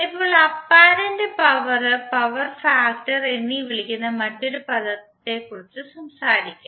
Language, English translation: Malayalam, Now let’s talk about another term called apparent power and the power factor